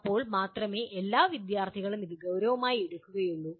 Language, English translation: Malayalam, Then only all the students will take it seriously